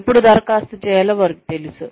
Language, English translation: Telugu, They know, when to apply